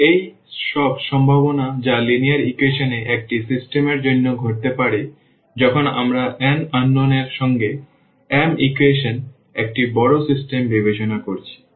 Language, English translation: Bengali, And, these all are the possibilities which can happen for a system of linear equations when we consider a large system of m equations with n unknowns